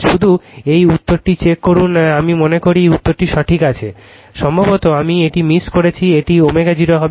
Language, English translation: Bengali, Just check this answer I think this answer is correct, perhaps this I missed this one, it will be omega 0 right